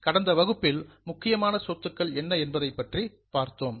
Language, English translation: Tamil, In the last session we had also seen what are the important assets